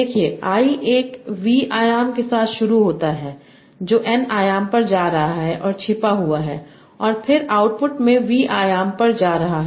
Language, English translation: Hindi, So you are starting with a V dimension, going to n dimension and hidden, and then going to the v dimension in the output